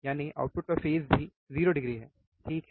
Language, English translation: Hindi, So, what is no phase shift it is a 0 degree, right